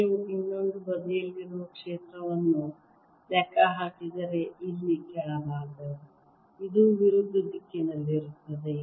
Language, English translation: Kannada, if you calculate the field on the other side, the lower side, here this will be opposite direction